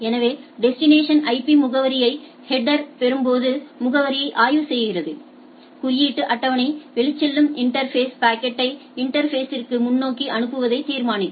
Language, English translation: Tamil, So, upon receiving inspects the destination IP address in the header, index into the table, determine the outgoing interface forward the packet to the interface right